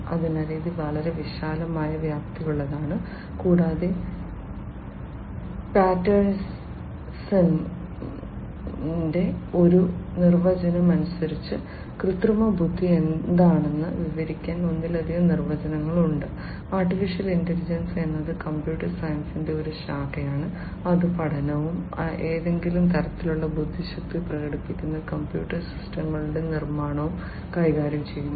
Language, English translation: Malayalam, So, it is quite broadly scoped and there are multiple definitions to describe what artificial intelligence is, as per one of the definitions by Patterson; AI is a branch of computer science that deals with the study and the creation of computer systems that exhibit some form of intelligence